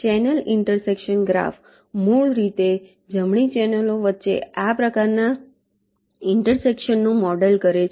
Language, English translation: Gujarati, the channel intersection graph basically models this kind of intersection between the channels right